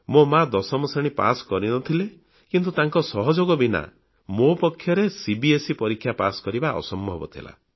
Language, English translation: Odia, My mother did not clear the Class 10 exam, yet without her aid, it would have been impossible for me to pass the CBSE exam